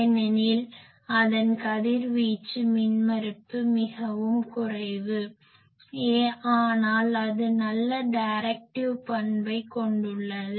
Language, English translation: Tamil, Because it is radiation resistance is very low, but it has a very good characteristic it has a very good directive characteristic